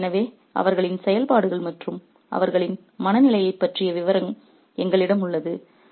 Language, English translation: Tamil, So, we have a description of their activities and their state of mind